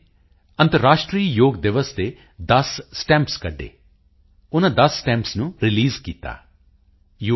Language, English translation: Punjabi, On the occasion of International Day of Yoga, the UN released ten stamps